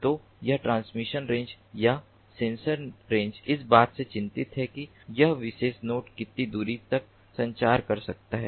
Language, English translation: Hindi, so this transmission range, or the communication range, is concerned about how far this particular node can communicate